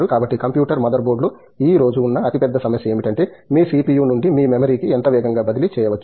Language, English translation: Telugu, So, the biggest problem today in a computer mother board is how fast can you transfer from your CPU to your memory, right